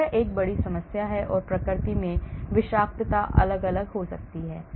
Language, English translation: Hindi, that is a big problem and the toxicity can be of different in nature